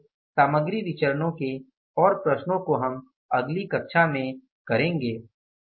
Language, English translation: Hindi, So further more problems with regard to the material variances we will do in the next class